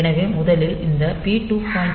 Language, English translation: Tamil, 3 to say that this P2